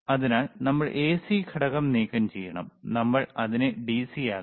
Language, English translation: Malayalam, So, we have to remove the AC component, and we have to make it DC